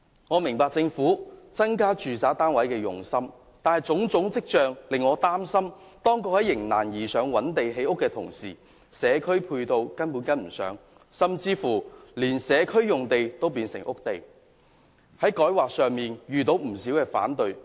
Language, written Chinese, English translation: Cantonese, 我明白政府增加住宅單位的用心，但種種跡象皆令我擔心，當局在"迎難而上"覓地建屋的同時，社區配套根本未能跟上，甚至連社區用地都變成屋地，以致在改劃方面遇到不少反對聲音。, I appreciate the intent of the Government to increase the supply of residential units but various signs have aroused my concern because while the authorities rise up to challenges to identify land for housing construction the provision of community facilities has failed to go in tandem with the construction . Worse still community sites have been converted to residential use which has attracted great opposition in respect of rezoning